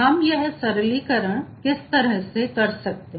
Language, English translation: Hindi, how we can do the further simplification